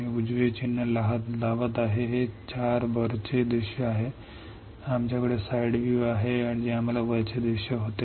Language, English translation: Marathi, I am putting right mark this 4 are top view we have side view we had top view